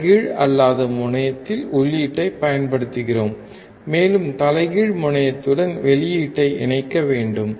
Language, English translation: Tamil, we are applying input at the non inverting terminal, and we have to just short the output with the inverting terminal